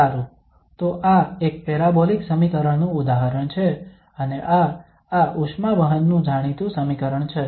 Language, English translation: Gujarati, Well, so this is the example of an parabolic equation and this is well known equation of this heat conduction